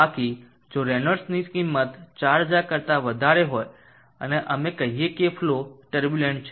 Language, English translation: Gujarati, Else if the value of the Reynolds number of greater than 4000 and we say that the flow is turbulent